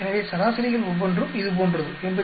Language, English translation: Tamil, So, each of the averages are like this 84